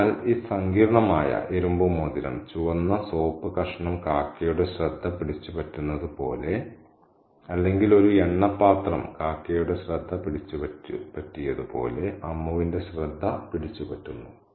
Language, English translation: Malayalam, So, this intricate iron ring captures the attention of Amu just as a piece of red soup might capture the attention of a crow or just as an oil bowel might capture the attention of a crow